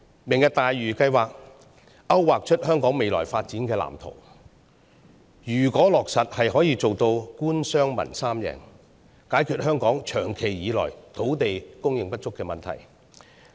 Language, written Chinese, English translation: Cantonese, "明日大嶼"計劃勾劃出香港未來發展藍圖，如果落實，是可以做到官商民三贏，解決香港長久以來土地供應不足的問題。, The Lantau Tomorrow project outlines a blueprint for the future development of Hong Kong . If implemented it can resolve the long lasting problem of land supply shortage in Hong Kong thus achieving a triple - win situation for the Government the business sector and the public